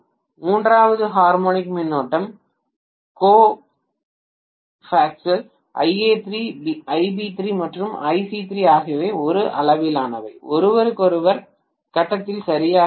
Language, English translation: Tamil, The third harmonic current being co phasal Ia3, Ib3 and Ic3 are exactly of same magnitude, exactly in phase with each other